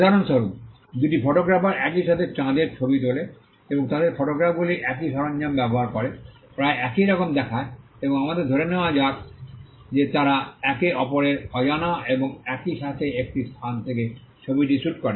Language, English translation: Bengali, For instance, two photographers photograph the moon at the same time and their photographs look almost identical they use the same equipment and let us also assume that they shoot the photograph from similar location as well without knowledge of each other and at the same time